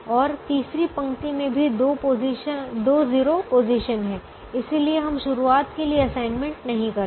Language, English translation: Hindi, and the third row also has two zero positions and therefore we don't make an assignment to begin with